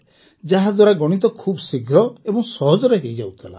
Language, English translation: Odia, In which mathematics used to be very simple and very fast